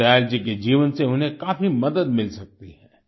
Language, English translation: Hindi, Deen Dayal ji's life can teach them a lot